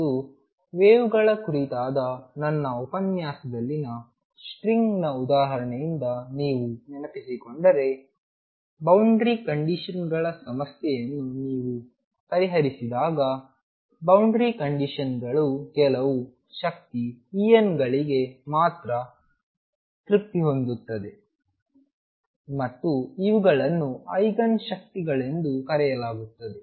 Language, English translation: Kannada, And when you solve a problem with boundary conditions if you recall again from the example of string in my lecture on waves, boundary conditions means that the boundary conditions are satisfied with only certain energies E n and these will be known as Eigen energies